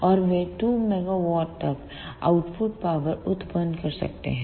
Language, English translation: Hindi, And they can produce output powers up to 2 megawatts